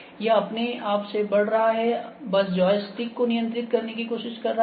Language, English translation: Hindi, It is moving by itself is just trying to control the joystick